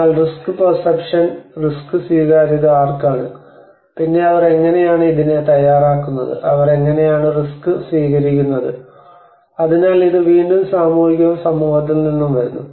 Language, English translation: Malayalam, But there is also the risk perception, risk acceptance as risk to whom then how do they prepare for it how do they accept it risk behaviour so this is again this whole thing comes from the social and community